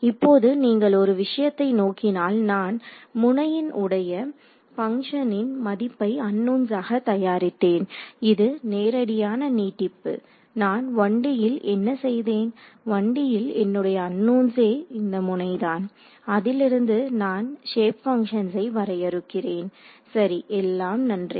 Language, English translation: Tamil, Now, you one thing you notice that here I am making the unknowns to be the values of the function at these nodes, that is the straightforward extension what I did in 1 D, in 1 D my unknowns were these nodes from that I define these shape functions right everything is good